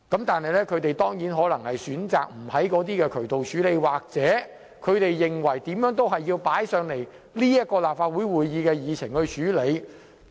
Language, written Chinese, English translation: Cantonese, 但是，他們選擇不循該等渠道處理，而是無論如何都要把該等問題列入立法會會議議程處理。, However they ignore all those channels but insist on putting the issues on the agenda of the Legislative Council